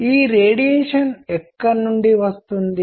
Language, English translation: Telugu, Where does this radiation come from